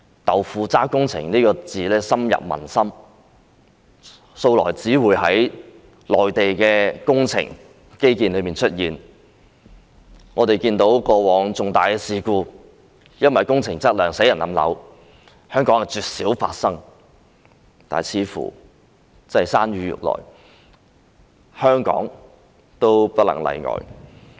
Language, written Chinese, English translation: Cantonese, "豆腐渣工程"這詞語深入民心，以前只會在內地的工程或基建出現，過往因工程質量而發生重大事故，導致人命傷亡的情況，絕少在香港發生，但似乎真的是山雨欲來，香港也不能例外。, The term tofu - dreg or jerry - built projects has taken root in the hearts of the people . These projects used to be seen only in the construction works or infrastructure in the Mainland and in the past it was absolutely rare to see major incidents attributed to the quality of construction works happening and causing injuries and fatalities in Hong Kong . But it seems that a storm is really brewing and Hong Kong can no longer be spared